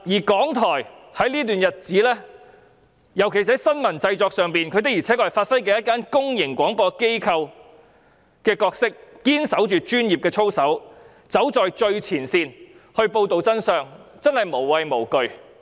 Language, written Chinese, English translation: Cantonese, 港台在這段日子裏，尤其是在新聞製作方面，確實能發揮公營廣播機構的角色，堅守專業操守，走在最前線報道真相，真的無畏無懼。, During all this time RTHK can actually fulfil its roles as a public broadcaster and report the truth at the forefront in strict compliance with its professionalism especially in its news production